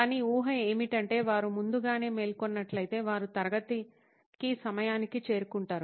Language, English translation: Telugu, So, but still the assumption is that if they woke up early, they would be on time to the class